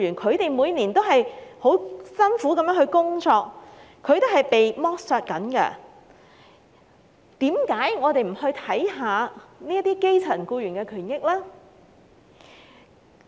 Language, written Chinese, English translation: Cantonese, 他們每年也辛勞地工作，正在被剝削，為何我們不關注這些基層僱員的權益呢？, Although they have been working hard year after year they are still being exploited . Why dont we pay more attention to the rights of these grass - roots employees?